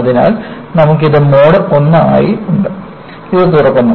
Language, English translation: Malayalam, So, you have this as Mode I, this is opening up